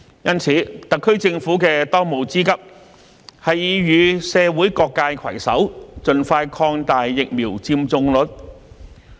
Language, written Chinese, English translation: Cantonese, 因此，特區政府的當務之急是與社會各界攜手，盡快提高疫苗接種率。, It is thus imperative for the SAR Government to work with all sectors of society to increase the vaccination rate expeditiously